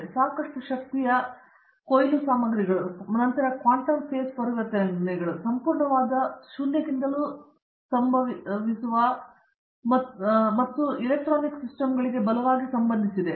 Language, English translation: Kannada, And, quite a lot of energy harvesting materials and quantum face transitions that happened close to absolute 0 and strongly correlated electron systems and so on